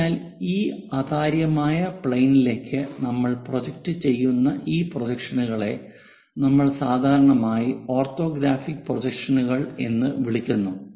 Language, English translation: Malayalam, So, this projections what we are calling on to the planes onto these opaque planes, what we call generally orthographic views